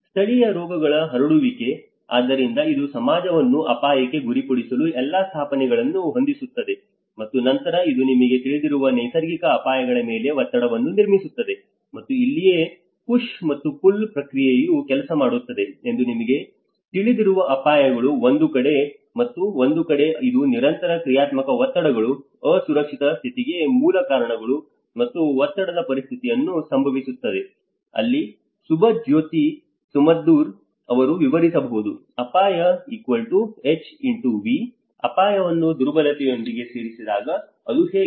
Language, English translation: Kannada, Prevalence of endemic diseases; so this is all sets up the setting for getting the society prone to an hazard, and then this builds a pressure to the existing you know the natural hazards and that is where a push and pull process works you know that is one side the hazards and one side this the continuous dynamic pressures, the root causes on the unsafe condition, and how they actually bring the pressurized situation that is where Subhajyoti Samaddar might have explained, risk=HxV, that is how when hazard has been added with the vulnerability that is where the risk component is being visible